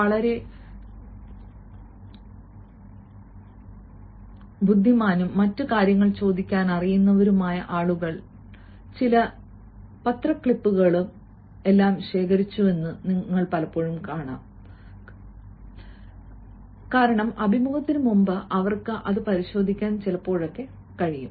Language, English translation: Malayalam, it has been seen that people who are very intelligent enough and they know what other things can be asked, they have gathered certain newspaper clips, clippings and all that because before the interview they can just have a cursory look at that so that they can feel confidence